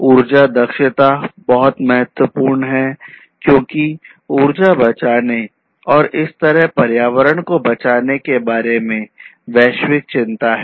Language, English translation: Hindi, So, nowadays, energy efficiency is very important also because there is globally a global concern about saving energy and thereby saving the environment